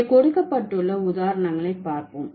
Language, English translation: Tamil, So, let's look at the examples given over here